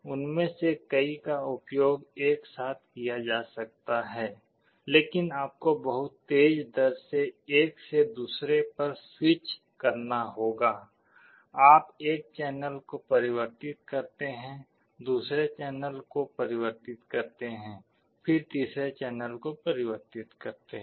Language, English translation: Hindi, Multiple of them can be used simultaneously, but you will have to switch from one to other at a very fast rate; you convert one channel then converts second channel, then convert third channel